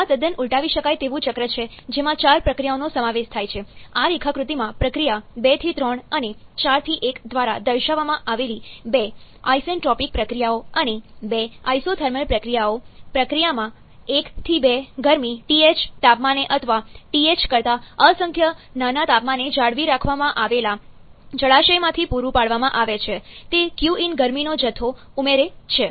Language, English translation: Gujarati, Now, this is a carnot cycle which is the most ideal cycle that we can have, this is totally reversible cycle comprising of 4 processes; 2 isentropic processes like shown by process 2 to 3 and 4 to 1 in this diagram and 2 isothermal processes, in process 1 to 2 heat is being supplied from a reservoir maintained at a temperature TH or infinitesimally small temperature higher than TH, it add this qm amount of heat